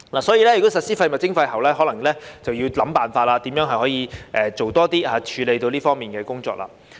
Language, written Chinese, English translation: Cantonese, 所以，如果實施廢物徵費後，可能便要想辦法如何可以多做一些，以處理這方面的工作。, Therefore after the implementation of waste charging it may be necessary to think about ways to enhance the capacity in order to cope with the work in this area